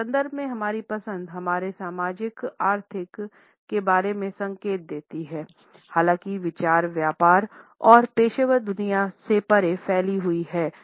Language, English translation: Hindi, At the same time our choices in this context convey clues about our socio economic status, however the idea extends beyond the business and the professional world